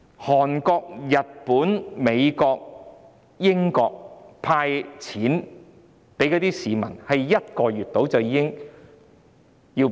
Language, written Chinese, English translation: Cantonese, 韓國、日本、美國、英國向市民派發現金，只須約1個月就已經做到。, It is hard to believe . It takes only one month or so for Korea Japan the United States and the United Kingdom to do so